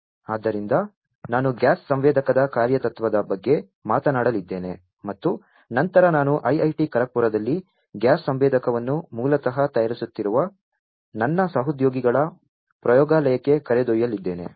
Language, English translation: Kannada, So, I am going to talk about the working principle of a gas sensor and then I am going to take you to one of labs of one of my colleagues, who is basically fabricating a gas sensor at IIT Kharagpur